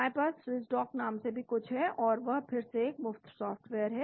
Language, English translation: Hindi, We also have something called as Swiss Dock and that is again it is a free software